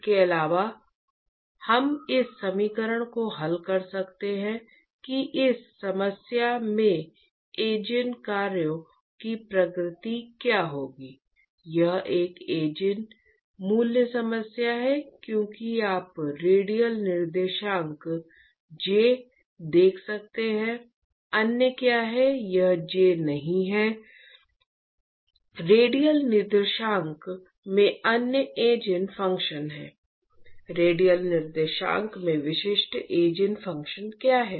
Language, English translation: Hindi, Also we can solve this equation what will be the nature of the Eigen functions of this problem it is an Eigen value problem as you can see the radial coordinates j what are the other it is not j, what are the other Eigen functions in radial coordinates, what are the distinct Eigen functions in radial coordinates